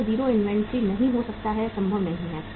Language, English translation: Hindi, It cannot be 0 inventory, not possible